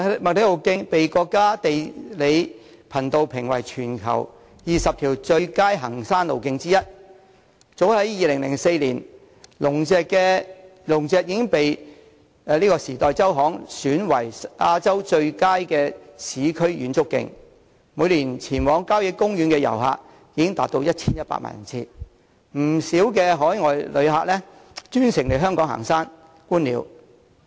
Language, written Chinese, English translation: Cantonese, 麥理浩徑被國家地理頻道評為全球20條最佳行山路徑之一，而早在2004年，龍脊便獲《時代周刊》選為亞洲最佳市區遠足徑，每年前往郊野公園的遊客達 1,100 萬人次，不少海外旅客更專程來港行山、觀鳥。, MacLehose Trail has been cited as one of the worlds top 20 hiking trails by the United States National Geographic Channel and as early as in 2004 the Dragons Back was named the most celebrated urban hiking trail by the Time magazine . The number of visitors to country parks is as high as 11 millions every year and many overseas visitors have come specially for hiking and bird - watching